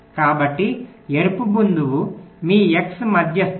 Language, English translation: Telugu, so the red point is your x median median